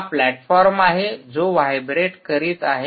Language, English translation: Marathi, this whole system is vibrating